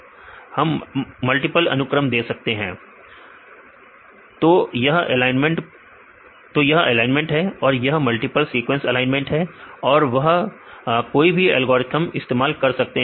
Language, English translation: Hindi, Yeah, we can give the multiple sequence well this is the alignment it is the multiple sequence alignment then they use any of this algorithms